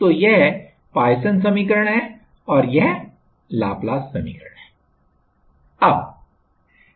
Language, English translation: Hindi, So, this is Poisson equation and this is Laplace’s equation